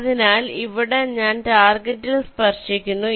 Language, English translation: Malayalam, so here i touch the target